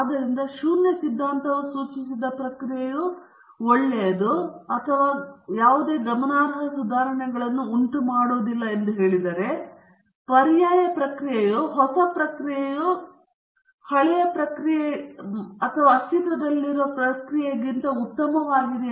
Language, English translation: Kannada, So, the null hypothesis is the suggested process is not good or not producing any considerable improvement and the alternate hypothesis would be the new process is in fact better than the old process or the existing process